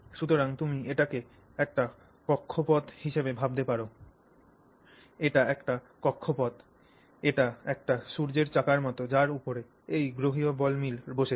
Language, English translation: Bengali, It's an orbit that the, so this is like a sun wheel on which these planetary ball mills are seated